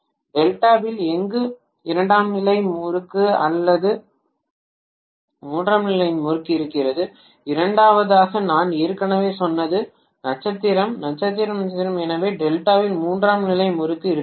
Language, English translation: Tamil, If I have a secondary winding or a tertiary winding in delta, secondly winding already I said is star, star star so I can have a tertiary winding in delta